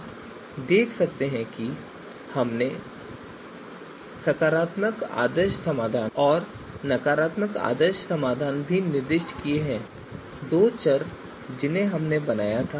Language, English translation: Hindi, So you can see we have also specified the positive ideal solution and negative ideal solution the two variables that we had you know you know that we had created